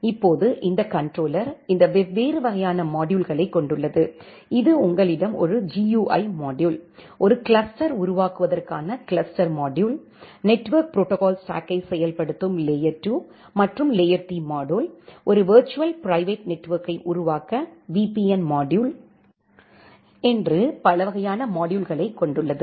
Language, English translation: Tamil, Now this controller has all these different kind of module, which can be there like you can have a GUI module, the cluster module to form a cluster, the layer 2, layer 3 module to implement the layer 2 and layer 3 functionalities of the network protocol stack, the VPN module to create a virtual private network